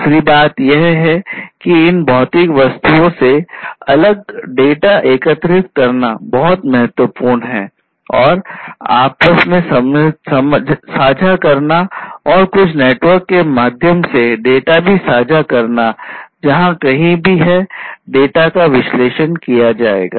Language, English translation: Hindi, The second thing is that it is very important to collect these different data from these physical objects and share between themselves between themselves and also share the data through some network to elsewhere where it is going to be analyzed